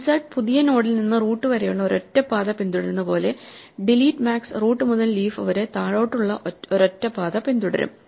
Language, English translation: Malayalam, Just as insert followed a single path from the new node at the leaf up to the root, delete max will follow a single path from the root down to a leaf